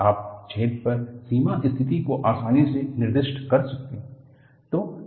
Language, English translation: Hindi, You can easily specify the boundary condition on the hole